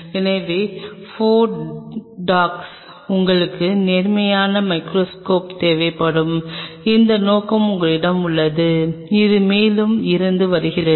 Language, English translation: Tamil, So, 4 dag you will be needing an upright microscope means, you have this objective which is coming from the top